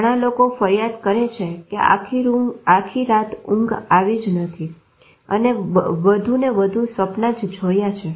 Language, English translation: Gujarati, A lot of people complain that the whole night I haven't slept I am dreaming more and more